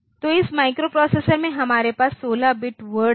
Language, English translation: Hindi, So, this microprocessors we had 16 bit word